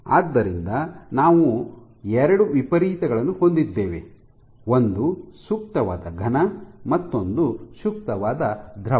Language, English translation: Kannada, So, we have two extremes an ideal solid and an ideal fluid ok